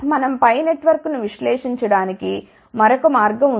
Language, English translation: Telugu, There is a another way where we can analyze the pi network